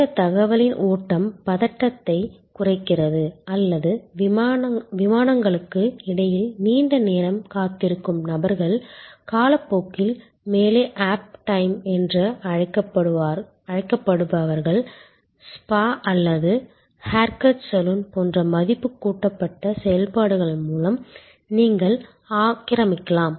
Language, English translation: Tamil, This flow of information reduces anxiety or were people are waiting for long time between flights, the so called lay of time, lay over time, you can occupy through value added activities like a spa or a haircut saloon and so on